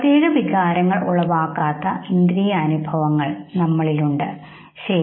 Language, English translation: Malayalam, We have the sensory information which no invokes emotionless, okay